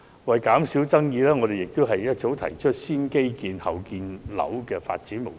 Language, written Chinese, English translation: Cantonese, 為減少爭議，自由黨早已提出"先基建、後建屋"的發展模式。, To minimize disputes the Liberal Party has already put forth a development mode of infrastructure before housing construction